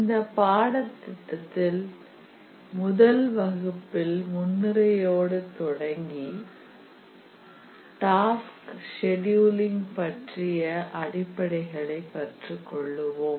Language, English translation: Tamil, The plan of this course is that this first lecture we will start with some very basic introduction and then we will look some basics of task scheduling